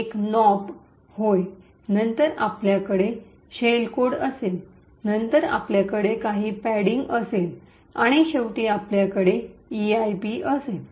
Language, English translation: Marathi, One is nops then you have the shell code then you have some padding and finally you have an EIP